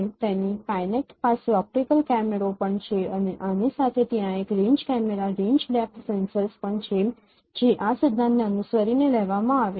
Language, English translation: Gujarati, So, Kynet also has an optical camera and along with there is a range camera, range depth sensors following this which is captured following this principle